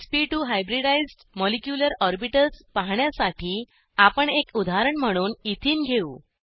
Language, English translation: Marathi, To display sp2 hybridized molecular orbitals, we will take ethene as an example